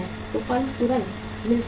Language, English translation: Hindi, So firm will get immediately